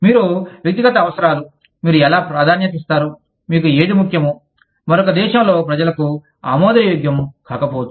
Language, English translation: Telugu, How, you know, your personal needs, how you prioritize, whatever is important for you, may not be acceptable to people, in another country